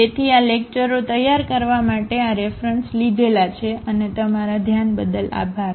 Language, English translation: Gujarati, So, these are the references used to prepare these lectures and thank you for your attention